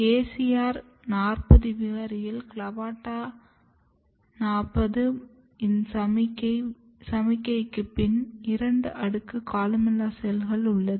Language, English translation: Tamil, But if you look in acr4 mutant, even after CLAVATA40 treatment, there is two layer of columella stem cells